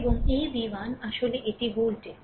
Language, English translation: Bengali, And this v 1 actually this is the voltage right